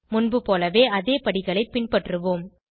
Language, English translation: Tamil, Lets follow the same steps as before